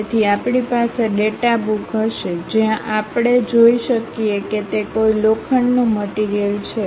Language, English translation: Gujarati, So, we will be having a data book where we can really see if it is a iron material